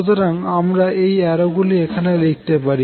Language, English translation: Bengali, So, I can write these arrows here also